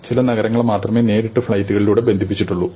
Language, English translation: Malayalam, Only some of the cities are connected by direct flights